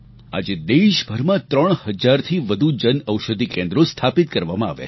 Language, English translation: Gujarati, Today, over three thousand Jan Aushadhi Kendras have been set up across the country